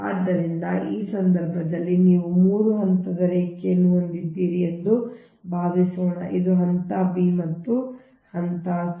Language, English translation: Kannada, so in that case, suppose you have a three phase line: this is phase a, phase b, and this is phase c